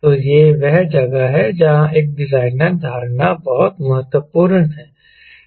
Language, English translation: Hindi, so they, that is where a designer perception is very, very important